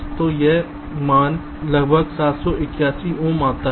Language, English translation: Hindi, ok, so this value comes to about seven eighty one ohms